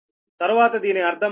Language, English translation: Telugu, later we will see that